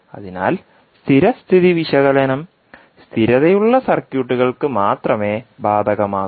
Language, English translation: Malayalam, So the study state analysis is only applicable to the stable circuits